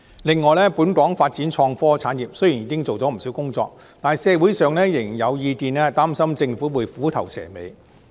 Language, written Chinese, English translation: Cantonese, 另外，本港在發展創科產業方面雖然已經做了不少工作，但社會上仍然有意見擔心政府會虎頭蛇尾。, In addition Hong Kong has done a lot of work in developing innovation and technology IT industries but there are still concerns in society that the Government may be a quitter